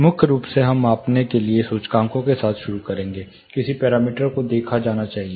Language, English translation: Hindi, Primarily we will be starting with indices for measuring, what parameter should be look at